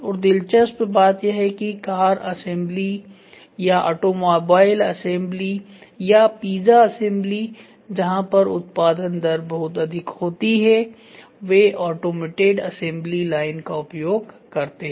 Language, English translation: Hindi, And interestingly in car assembly or in automobile assembly or in pizza assembly, wherever your mass production rate is very high they look for automated assembly line